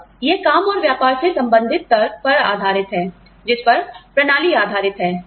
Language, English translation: Hindi, Now, this is based on, work and business related rationale, on which, the system is based